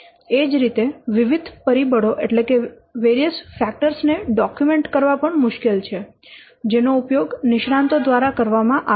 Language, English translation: Gujarati, Similarly, it is hard to document the various factors which are used by the experts or the experts group